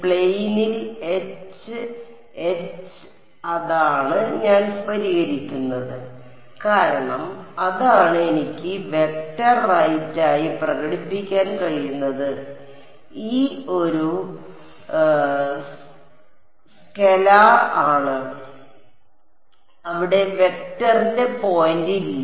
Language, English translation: Malayalam, H, H in the plane that is what I will solve for because that is the thing I can express as a vector right E is a scalar there is no point of vector over there ok